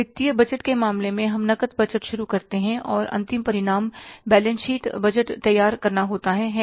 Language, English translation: Hindi, In case of the financial budget, we start with the cash budget and the end result is preparing the budgeted balance sheet